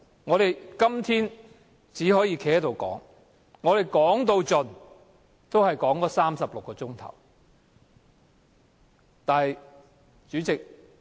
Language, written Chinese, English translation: Cantonese, 我們今天只可以站在這裏發言，但最多只可發言36小時。, Today all we can do is to rise and speak in this Chamber for 36 hours at most